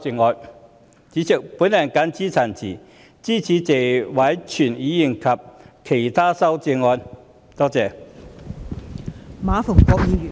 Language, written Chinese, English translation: Cantonese, 代理主席，我謹此陳辭，支持謝偉銓議員的原議案及其他議員的修正案。, Deputy President with these remarks I support Mr Tony TSEs original motion and other Members amendments